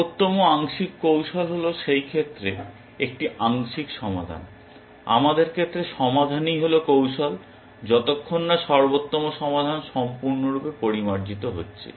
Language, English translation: Bengali, Best looking partial strategy, a partial solution in that case, in our case the solution is the strategy till best solution is fully refined